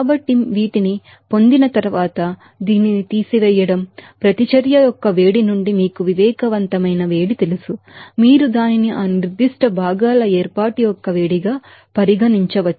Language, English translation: Telugu, So, after getting these you know, subtraction of this, you know sensible heat from the heat of reaction, you can regard it as a heat of formation of that particular constituents